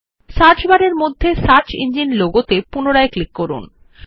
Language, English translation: Bengali, Click on the search engine logo within the Search bar again